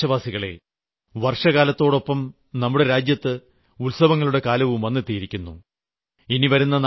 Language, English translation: Malayalam, My dear countrymen, with the onset of rainy season, there is also an onset of festival season in our country